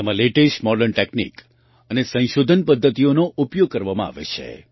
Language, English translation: Gujarati, Latest Modern Techniques and Research Methods are used in this